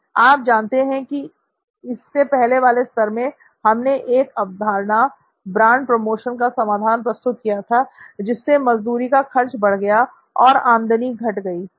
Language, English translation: Hindi, That, you know even at the earlier level we introduced a concept, a solution of brand promotion and that led to labour cost, revenue loss for you